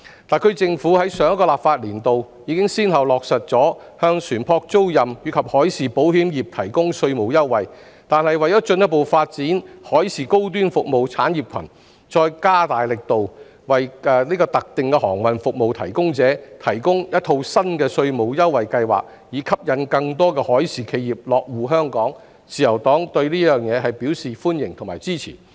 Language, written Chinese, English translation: Cantonese, 特區政府於上一個立法年度已先後落實向船舶租賃及海事保險業提供稅務優惠，但為進一步發展海事高端服務產業群，再加大力度，為特定的航運服務提供者，提供一套新的稅務優惠計劃，以吸引更多海事企業落戶香港，自由黨對此表示歡迎及支持。, In the last legislative year the SAR Government has already implemented tax incentives for the ship chartering and maritime insurance industries . However in order to further develop the maritime high - end services industry cluster the Liberal Party welcomes and supports the further enhancement of a new tax incentive scheme for specific maritime service providers so as to attract more maritime enterprises to establish their bases in Hong Kong